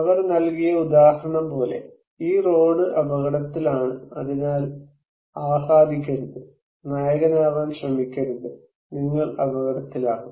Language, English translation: Malayalam, Like the example they have given that, this road is in danger, so do not be flamboyant, do not try to be hero, you will be at risk